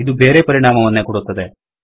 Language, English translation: Kannada, This produces a different result